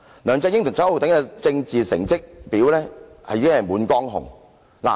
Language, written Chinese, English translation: Cantonese, 梁振英和周浩鼎議員的政治成績表已經滿江紅。, The political report cards of LEUNG Chun - ying and Mr Holden CHOW are nothing but failure